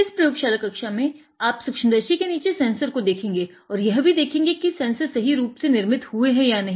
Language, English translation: Hindi, What we will be showing in this lab class is how you can see the sensor under the microscope and identify whether sensors are fabricated correctly or not